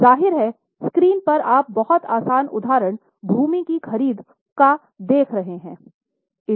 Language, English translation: Hindi, Obviously on the screen you can see that very easy example is purchase of land